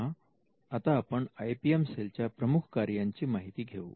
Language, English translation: Marathi, Now let us look at the core functions of an IPM cell